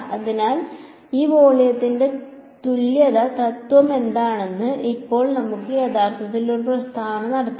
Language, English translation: Malayalam, So, this volume equivalence principle what now we can actually have a statement what it is